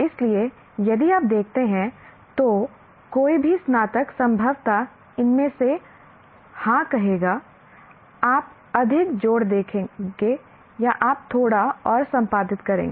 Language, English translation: Hindi, So one, any graduate if you look for, you will say, yes, these and possibly you'll add more or you will edit a little more